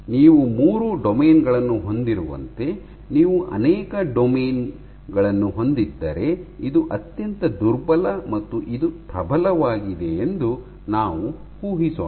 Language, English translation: Kannada, So, for the case in which you had three domains, let us assume; this is the weakest and this is the strongest